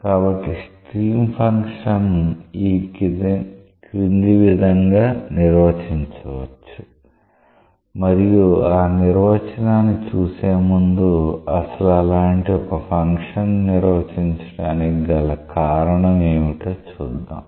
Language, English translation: Telugu, So, stream function is defined as follows to look into the definition let us first figure out that what is the motivation behind defining such a function